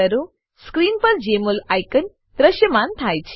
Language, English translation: Gujarati, Jmol icon appears on the screen